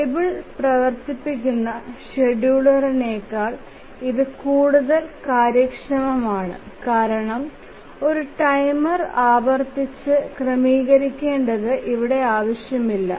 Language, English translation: Malayalam, It is more efficient even than a table driven scheduler because repeatedly setting a timer is not required here